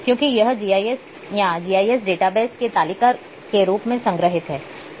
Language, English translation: Hindi, Because it is stored in a form of table in GIS or in GIS database as well